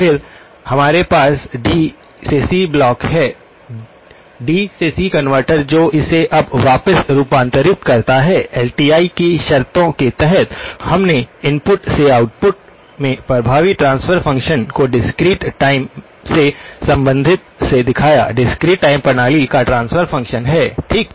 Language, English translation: Hindi, Then, we have a D to C block; D to C converter that converts it back now, under the conditions of LTI, we showed the effective transfer function from the input to the output given by the related to the discrete time; transfer function of the discrete time system okay